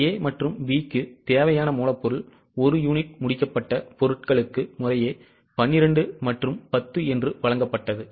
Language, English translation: Tamil, Now it was given that raw material required of A and B is 12 and 10 respectively for one unit of finished goods